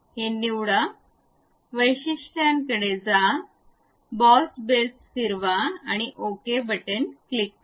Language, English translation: Marathi, Select this one, go to features, revolve boss base, click ok